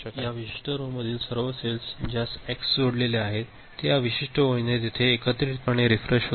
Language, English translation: Marathi, So, all the rows, all the cells in a particular row, to which X is connected; so they get refreshed that you know together, by this particular line